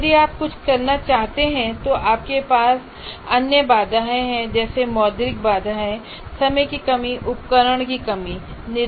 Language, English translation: Hindi, What happens if you want to perform something, you have other constraints like monetary constraints, time constraints, and equipment constraints and so on